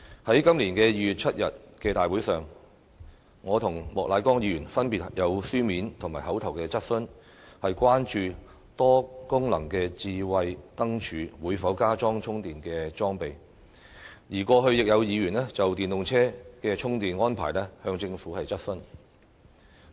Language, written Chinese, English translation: Cantonese, 在今年2月7日的大會上，我和莫乃光議員分別提出了書面及口頭質詢，關注多功能智慧燈柱會否加裝充電裝備，而過去亦有議員就電動車的充電安排質詢政府。, At the Council meeting held on 7 February Mr Charles Peter MOK and I raised oral and written questions respectively asking whether charging facilities would be incorporated in multi - functional smart lampposts for EVs . In the past there were also Members raising questions to the Government about the charging arrangements for EVs